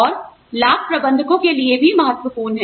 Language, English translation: Hindi, And, benefits are important, to managers also